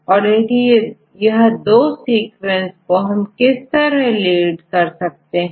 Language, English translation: Hindi, So, how far these two sequences are related with each other